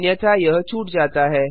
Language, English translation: Hindi, It is skipped otherwise